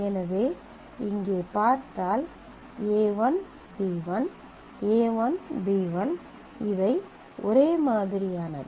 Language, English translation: Tamil, So, if we look at here this is a 1, b 1, a 1, b 1, here these are identical